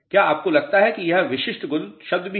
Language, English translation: Hindi, Do you think that this is a specific gravity term also